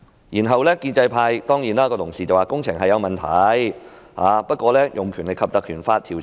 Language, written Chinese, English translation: Cantonese, 然後，建制派同事會說，工程確是有問題，但沒有必要引用《條例》來調查。, Then Honourable colleagues in the pro - establishment camp said that while there are indeed problems with the construction works it is not necessary to invoke PP Ordinance to conduct an investigation